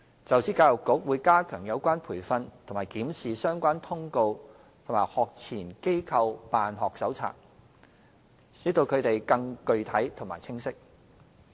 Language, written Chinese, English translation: Cantonese, 就此，教育局會加強有關培訓及檢視相關通告和《學前機構辦學手冊》，使其更具體和清晰。, On this the Education Bureau will strengthen related training review the contents of relevant circular and the sections of the Operational Manual for Pre - primary Institutions to make them more concrete and precise